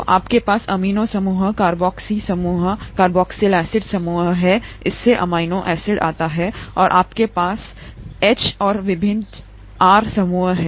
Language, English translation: Hindi, So you have amino group, carboxy group, carboxylic acid group, so amino acid comes from that and you have H and various R groups